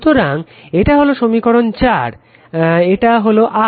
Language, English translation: Bengali, So, this is equation 4 and this is equal to R actually right